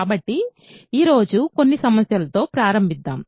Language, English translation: Telugu, So, let us start with some problems today